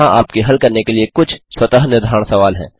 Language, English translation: Hindi, Here are some self assessment questions for you to solve 1